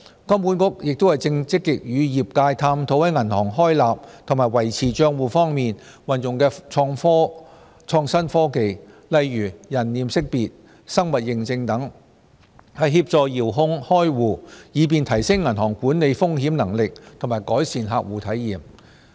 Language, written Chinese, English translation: Cantonese, 金管局亦正積極與業界探討在銀行開立及維持帳戶方面運用創新科技，例如人臉識別、生物認證等，協助遙距開戶，以便提升銀行管理風險能力及改善客戶體驗。, Furthermore HKMA is actively exploring with the trades on using innovative technologies in opening and maintaining accounts . For example they are exploring the use of face recognition technology and biometric identification to assist in distant opening of accounts to strengthen the ability of banks in risk management and enhance client experience